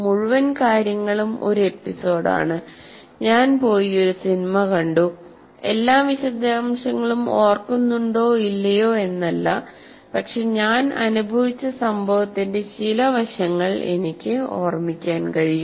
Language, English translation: Malayalam, I went and saw a movie, whether I may not remember all the details, but I can remember some aspects of my, the aspects of the event that I experienced